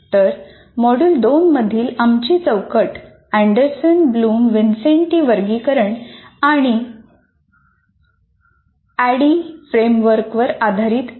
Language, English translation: Marathi, So our framework here in the module 2 is based on Anderson Bloom Wincente taxonomy and ADD framework